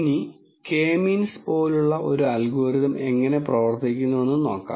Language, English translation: Malayalam, Now, let us look at how an algorithm such as K means works